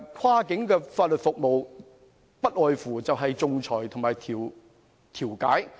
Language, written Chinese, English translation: Cantonese, 跨境法律服務所涉及的，不外乎是仲裁和調解。, Cross - boundary legal services predominantly involve arbitration and mediation